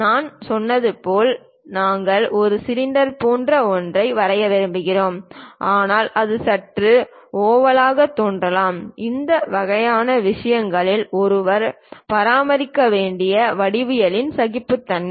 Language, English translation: Tamil, As I said we would like to draw ah we would like to prepare something like cylinder, but it might look like slightly oval, that kind of things are also geometric tolerances one has to maintain